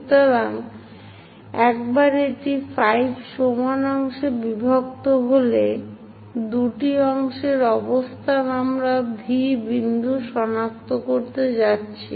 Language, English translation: Bengali, So, once it is divided into 5 equal parts, two parts location we are going to locate V point